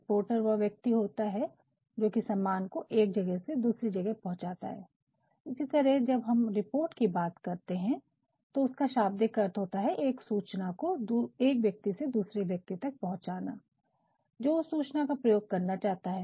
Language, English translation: Hindi, A porter is a person, who transfers our goods from one place to another, likewise when we talk about a report; the literal meaning is a piece of information from someone to be given to someone, who wants to use that information